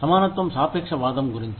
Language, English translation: Telugu, Equitability is about relativism